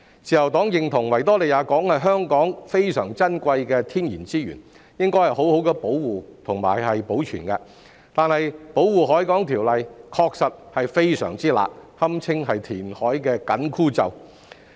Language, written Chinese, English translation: Cantonese, 自由黨認同維多利亞港是香港珍貴的天然資源，應該好好保護及保存，但《條例》確實非常"辣"，堪稱填海的"緊箍咒"。, The Liberal Party agrees that the Victoria Harbour is a precious natural resource of Hong Kong which should be well protected and preserved . That said the Ordinance is indeed very stringent and it can be said that it is an inhibiting magic spell on reclamation